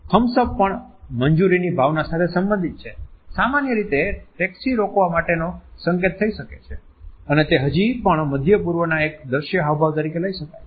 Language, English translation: Gujarati, The thumbs up is also related with the sense of approval, it can be a simple in aqueous way of telling a taxi, and it can still be considered as an of scene gesture in the Middle East